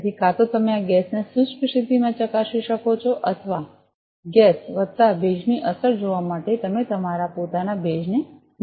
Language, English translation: Gujarati, So, either you can test this gas in dry condition or, you can put your own humidity to see the effect of gas plus humidity